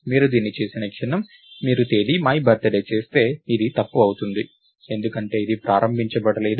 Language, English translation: Telugu, So, the moment you do this, if you do Date my birthday, this would be incorrect because its not initialized